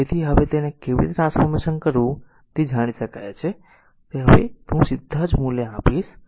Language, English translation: Gujarati, So, you can now you know how to convert it to star, I will now will directly I give the values right